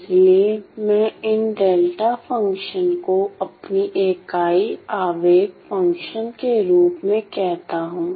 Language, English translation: Hindi, So, I call these delta functions as my unit impulse function ok